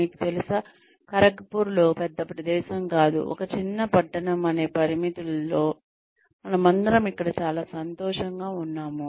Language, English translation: Telugu, You know, in Kharagpur, not a big place, with its limitations of being a small town, we are all quite happy here